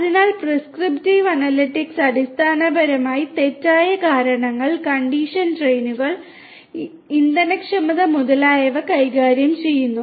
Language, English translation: Malayalam, So, prescriptive analytics basically deals with fault causes, condition trains, fuel efficiency and so on